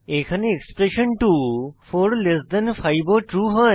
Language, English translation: Bengali, Expression 2 that is 45 is also true